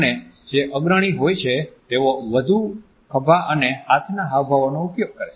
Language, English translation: Gujarati, And those who were leaders tended to use more shoulder and arm gestures